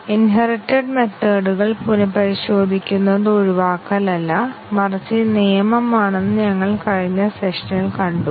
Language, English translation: Malayalam, We had seen in the last session that retesting of the inherited methods is the rule rather than exception